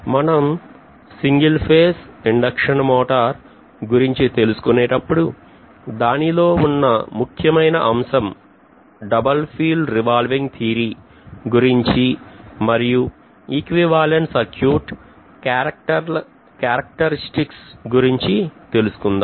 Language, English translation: Telugu, Let’s see how it goes, so single phase induction motor we will be looking at basically double field revolving theory and then we will be looking at again equivalent circuit characteristics, etc